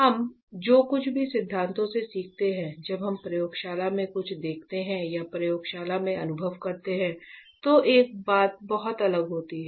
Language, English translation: Hindi, So, whatever we learn in theories one thing when we look something in the lab or we experience that in the lab is a very different thing